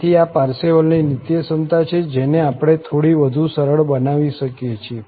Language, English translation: Gujarati, So, this is the Parseval's Identity which we can simplify a bit more